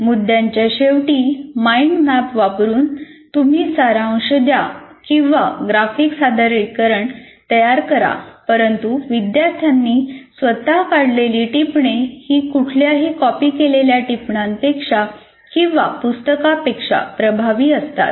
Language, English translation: Marathi, So either you do a pre see, making a mind map at the end of a topic, or creating a graphic representation, notes made by the learners are more effective than copied notes or books